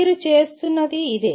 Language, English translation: Telugu, This is what you are doing